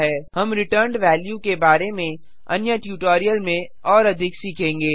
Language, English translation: Hindi, We will learn about data types in another tutorial